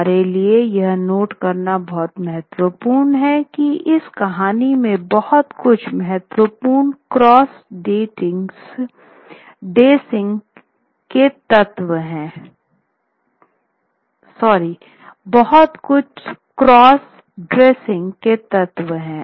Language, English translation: Hindi, It is very important for us to note that in this story there is a very important element of the cross dressing